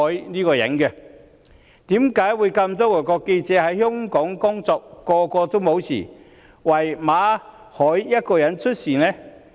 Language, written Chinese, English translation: Cantonese, 那麼多外國記者在港工作都沒有事，為何只有馬凱一個人出事？, Given that there are so many foreign journalists working in Hong Kong and nothing has happened to them why is it that only Victor MALLET is met with a mishap?